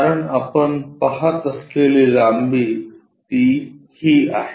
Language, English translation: Marathi, Because, this is the length what we are going to see